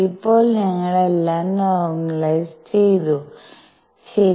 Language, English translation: Malayalam, Now we have normalized the whole thing, alright